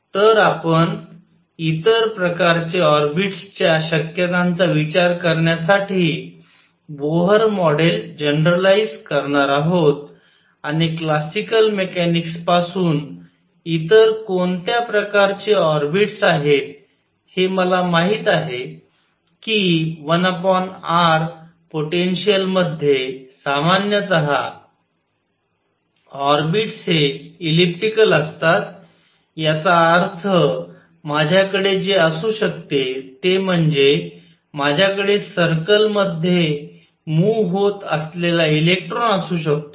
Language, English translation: Marathi, So, we are going to generalize Bohr model to considered possibilities of other kinds of orbits and what are the other kinds of orbits from classical mechanics I know that in a one over r potential the orbits are elliptical in general; that means, what I can have is I can have an electron moving in a circle